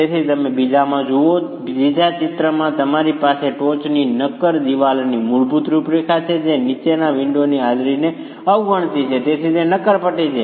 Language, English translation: Gujarati, So you see in the second, in the third picture you have the basic configuration at the top, the solid wall neglecting the presence of the windows below